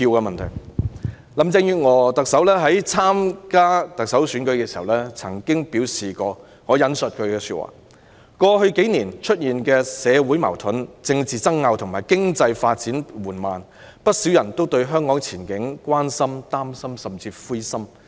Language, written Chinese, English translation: Cantonese, 特首林鄭月娥在參加特首選舉時曾表示，："過去幾年出現的社會矛盾、政治爭拗和經濟發展緩慢，不少人都對香港前景關心、擔心甚至灰心。, the motion on Vote of no confidence in the Chief Executive when Chief Executive Carrie LAM stood in the Chief Executive Election she said I quote Hong Kong has [also] been experiencing social conflict and economic slowdown during the past few years causing many people to become concerned and even discouraged